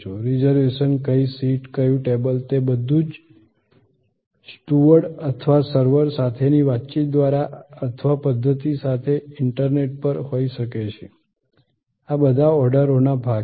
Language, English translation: Gujarati, The reservation which seat, which table, all those can be whether on site through the interaction with the steward or servers or on the internet with the system, these are all parts of the order take